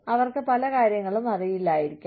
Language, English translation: Malayalam, They may not know, a lot of things